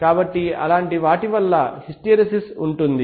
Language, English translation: Telugu, So due to such things the hysteresis can be there so what is